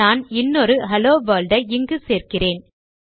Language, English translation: Tamil, For example, if I modify it, let me add another hello world here